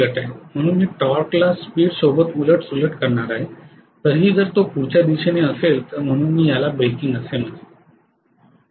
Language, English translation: Marathi, So I am going to have a reversal of torque with the speed still remaining in the forward direction so I would call it as breaking